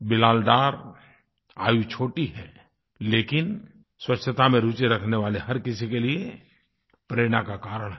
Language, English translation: Hindi, Bilal is very young age wise but is a source of inspiration for all of us who are interested in cleanliness